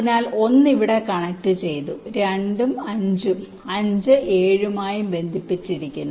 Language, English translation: Malayalam, ok, so one is connected to here, two is connected to five and five is connected to seven